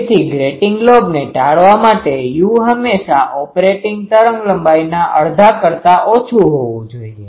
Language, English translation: Gujarati, So, to avoid getting the lobe, u should be always less than half of the operating wavelength